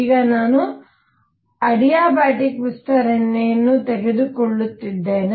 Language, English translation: Kannada, Now I am taking an adiabatic expansion